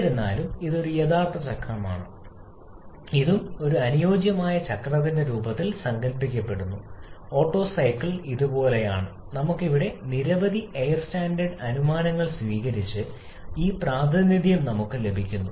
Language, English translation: Malayalam, However, this is an actual cycle and this conceptualized in the form of an ideal cycle, the Otto cycle just like this, where we have assumed several air standard assumptions and following which we get this representation